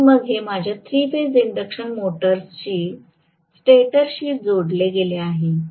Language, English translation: Marathi, And then this is connected to my three phase induction motors stator